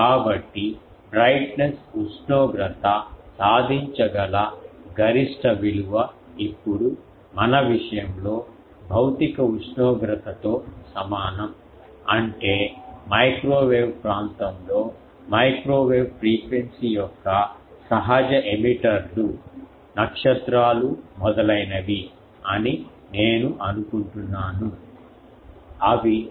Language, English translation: Telugu, So, the maximum value the brightness temperature can achieve is equal to the physical temperature now in our case; that means, in microwave region natural emitters of microwave frequency apart from I think the stars etc